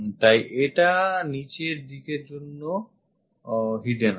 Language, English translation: Bengali, So, this one also hidden for the bottom one